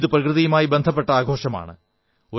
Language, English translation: Malayalam, This is a festival linked with nature